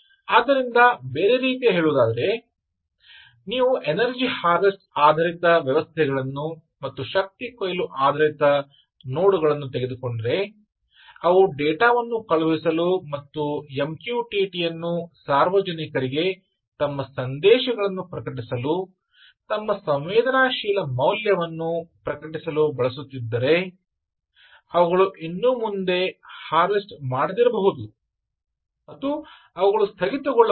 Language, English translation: Kannada, ok, so, in other words, if you take energy harvesting based systems right, energy harvesting based nodes which are trying to sends data and use m q t t for public, for publishing their messages, publishing their sensed value, is possible that they are not harvesting anymore